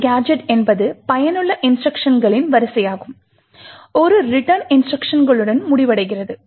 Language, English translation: Tamil, As we know a gadget is sequence of useful instructions which is ending with the return instruction